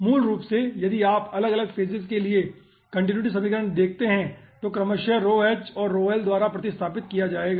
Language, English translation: Hindi, so basically, if you see the aah continuity equation for individual phases, n will be replaced by rho h and rho l respectively